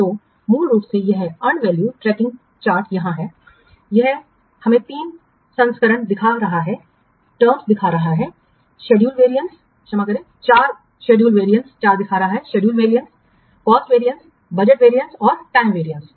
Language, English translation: Hindi, So basically this unvalue tracking chart here it is showing us three variances, the schedule variance, sorry, four variances, schedule variance, cost variance, budget variance and time variance